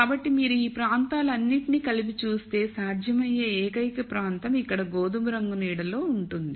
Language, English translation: Telugu, So, if you put all of these regions together the only region which is feasible is shaded in brown colour here